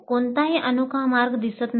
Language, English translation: Marathi, There does not seem to be any unique way